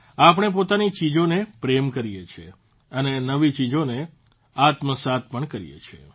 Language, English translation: Gujarati, We love our things and also imbibe new things